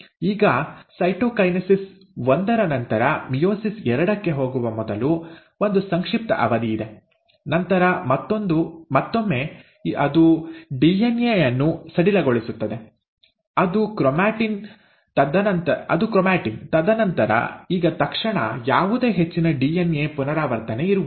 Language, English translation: Kannada, Now after cytokinesis one, there is a brief period before which the cell again goes back to meiosis two, and then again, it just loosens up the DNA, which is the chromatin, and then, immediately, there is no more further DNA replication now